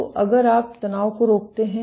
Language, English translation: Hindi, So, if you inhibit the tension